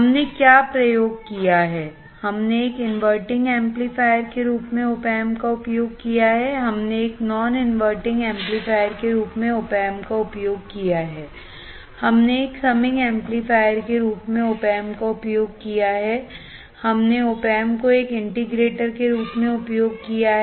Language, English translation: Hindi, What we have used, we have used opamp a as an inverting amplifier, we have used the opamp as a non inverting amplifier, we have used opamp as a summing amplifier, we have used the opamp as an integrator